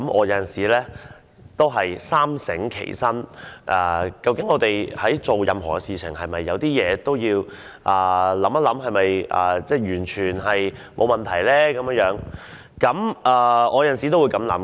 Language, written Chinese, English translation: Cantonese, 有時候我也會三省吾身，我們做任何事情時，都要想一想，這樣的做法是否沒有問題呢？, I will mull over my shortcomings from time to time . Regardless of what we do we should think about it and consider if it is alright to go ahead